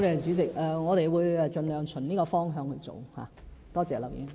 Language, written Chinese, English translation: Cantonese, 主席，我們會盡量循這方向來做，多謝劉議員。, President we will go in this direction as far as possible . Thank you Mr LAU